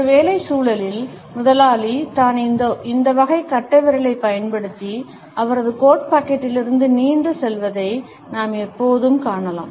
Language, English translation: Tamil, In a work environment we would always find that it is the boss, who moves around using these type of thumbs, protruding from his coat pocket